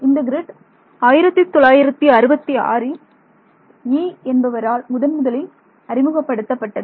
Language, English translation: Tamil, So, this grid was what was proposed by Yee in 1966